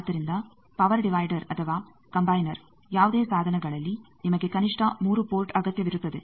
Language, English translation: Kannada, So, Power Divider or Combiner whatever the thing the point is you require at least 3 port in this device